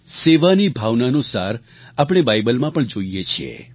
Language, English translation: Gujarati, The essence of the spirit of service can be felt in the Bible too